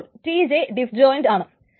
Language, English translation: Malayalam, So TJ it is disjoint